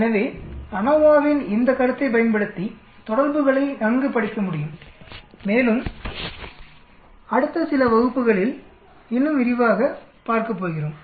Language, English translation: Tamil, So that interactions can be well studied using this concept of ANOVA and we are going to look at in more detail as we go long in the next few classes